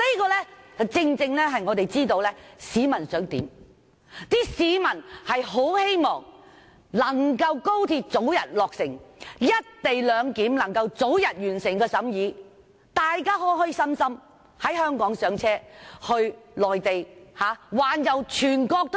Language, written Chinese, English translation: Cantonese, 這正正顯示我們知道市民想要甚麼：市民很希望高鐵能早日落成，《條例草案》能早日完成審議，大家能開開心心在香港上車往內地環遊全國。, This precisely shows that we are well aware of the aspiration of members of the public . They are eager to see the commissioning of XRL and the early completion of the deliberation of the Bill so that they can joyfully ride on XRL in Hong Kong and tour around the country